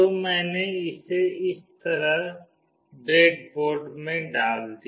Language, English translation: Hindi, So, I put it up in the breadboard like this